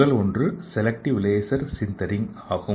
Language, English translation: Tamil, So let us see what is selective laser sintering